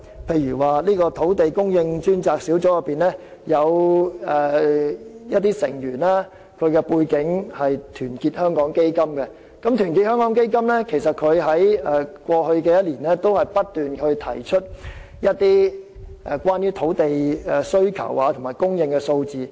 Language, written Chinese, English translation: Cantonese, 例如，土地供應專責小組的部分成員來自團結香港基金，而後者在過去1年亦曾不斷提出一些有關土地需求和供應的數字。, For example some members of the Task Force on Land Supply come from Our Hong Kong Foundation which has also released some figures on the demand and supply of land last year and according to the figures provided the total new land requirement will be 9 350 hectares instead of 4 800 hectares as suggested by the Government